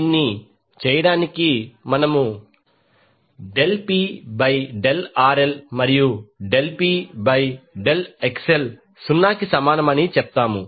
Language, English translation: Telugu, To do this we said del P by del RL and del P by del XL equal to 0